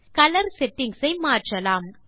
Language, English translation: Tamil, Let us now change the colour settings